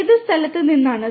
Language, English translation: Malayalam, From which location